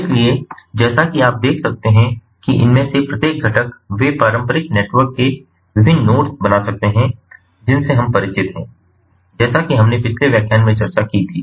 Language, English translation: Hindi, so, as you can see that each of these components, they can form different nodes of the traditional networks that we are familiar with, as we discussed in a previous lecture